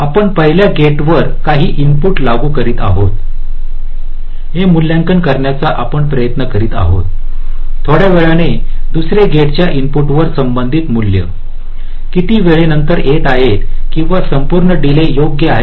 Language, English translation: Marathi, we are trying to evaluate that we are applying some input to the first gate after some time, after how much time the corresponding values are coming to the input of the second gate, this total delay, right now